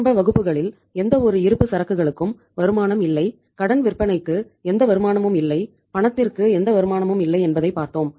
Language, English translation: Tamil, We have seen in the beginning classes also that neither inventory has any return nor credit sales has any return nor cash has any return